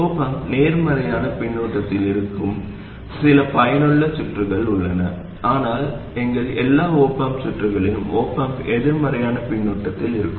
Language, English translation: Tamil, There are some useful circuits where the op am may be in positive feedback, but as far as we are concerned, in all our op am circuits the op am will be in negative feedback